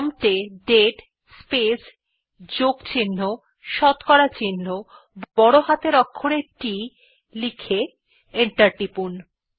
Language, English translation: Bengali, Type at the prompt date space plus % capital T and press enter